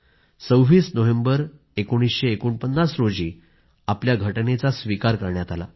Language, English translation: Marathi, Our Constitution was adopted on 26th November, 1949